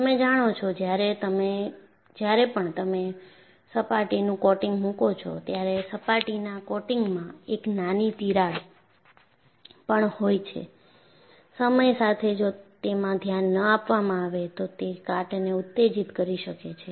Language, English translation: Gujarati, You know, whenever you put a surface coating, even a small crack in the surface coating, over a period of time, if unnoticed, can precipitate corrosion from that